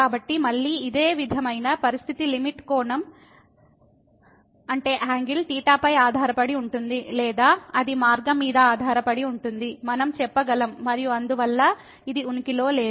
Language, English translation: Telugu, So, again the similar situation that the limit depends on the angle theta or it depends on the path, we can say and hence this does not exist